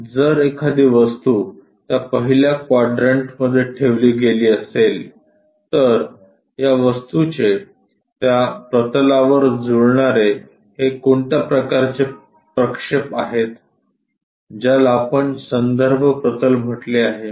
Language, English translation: Marathi, If an object is placed in that 1st quadrant, this object the kind of projection what it maps onto that plane, what we have called this reference plane